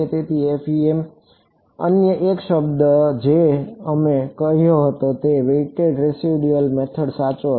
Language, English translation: Gujarati, So, FEM another word we had said was weighted residual method correct